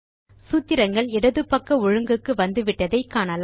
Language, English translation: Tamil, Notice that the formulae are left aligned now